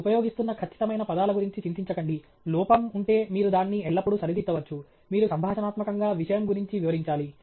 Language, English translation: Telugu, Don’t worry about the exact words that you are using; if there’s an error you can always correct it; you should conversationally elaborate on the point